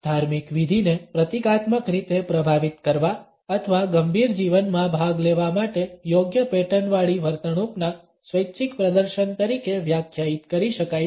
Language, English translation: Gujarati, Ritual can be defined as a voluntary performance of appropriately patterned behaviour to symbolically effect or participate in the serious life